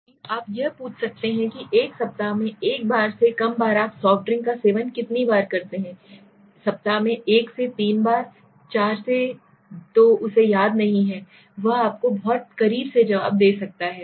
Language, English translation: Hindi, Rather you can ask it how often do you consume soft drinks in a typical week less than once a week, 1 to 3 times a week, 4 to so he does not remember, he can give you a much closer answer okay